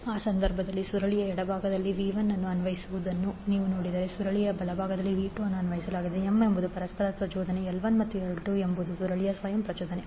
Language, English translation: Kannada, So in this case, if you see v 1 is applied on the left side of the coil, v 2 is applied at the right side of the coil, M is the mutual inductance, L 1 and L 2 are the self inductances of both coils